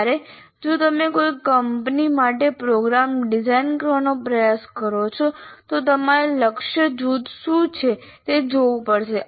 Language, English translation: Gujarati, Whereas if you try to design a program for a particular company, you will have to look at what the target group is